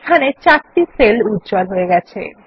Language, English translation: Bengali, Here we have highlighted 4 cells